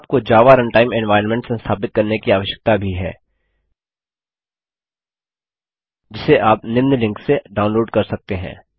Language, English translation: Hindi, You will also need to install Java Runtime Environment which you can download at the following link